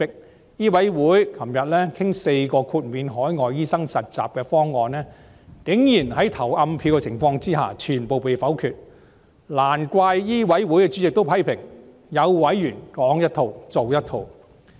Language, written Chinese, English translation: Cantonese, 香港醫務委員會昨天討論4項豁免海外醫生實習的方案，竟然在投暗票的情況下全部被否決，難怪醫委會主席批評有委員"說一套，做一套"。, Yesterday the Medical Council of Hong Kong MCHK discussed four proposals for exempting overseas doctors from internship but surprisingly all of them were vetoed in a secret ballot . No wonder the Chairman of MCHK criticized some members of not walking the talk